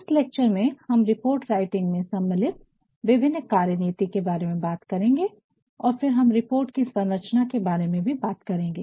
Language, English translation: Hindi, In this lecture, we are going to talk about the various strategies that are involved in writing a report and then we also be talking about the structure of reports